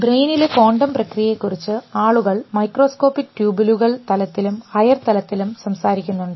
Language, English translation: Malayalam, But people have talked of quantum processes in the brain both at the level of microscopic tubules and at a higher level